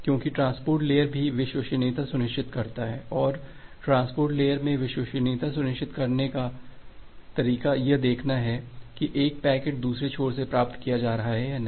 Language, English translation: Hindi, Because the transport layer also ensures reliability and the way of ensuring reliability in the transport layer is just like to monitor whether a packet is being received by the other end or not